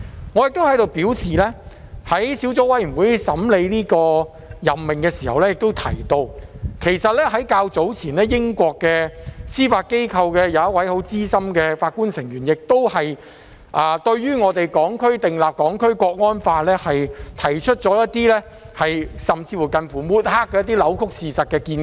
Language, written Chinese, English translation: Cantonese, 我想在此表示，我在資深司法任命建議小組委員會審議這項任命時提到，較早前英國的司法機構有一位資深法官對我們訂立《香港國安法》，提出一些近乎抹黑的扭曲事實的見解。, I would like to point out here as I have stated at the meeting of the Subcommittee on Proposed Senior Judicial Appointment in examining this appointment that a senior judge from the United Kingdom has made some distorted nearly smearing remarks on the enactment of the Hong Kong National Security Law